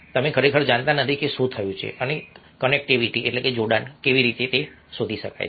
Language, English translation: Gujarati, you don't really know what has happened and how they connectivity can be increased